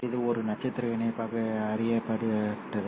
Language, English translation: Tamil, So this was known as a star coupler